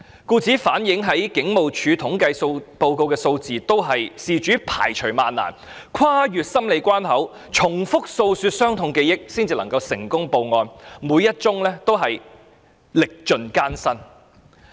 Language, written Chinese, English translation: Cantonese, 故此，警務處統計數字所反映的，全都是事主排除萬難、跨越多個心理關口、重複訴說傷痛記憶後才成功舉報的罪案，每一宗都歷盡艱辛。, Hence all cases included in the crime statistics maintained by the Hong Kong Police Force were reported with the greatest courage by the victims against all odds . In doing so they have to overcome a lot of psychological hurdles bring their painful memory to mind again and again and sustain great suffering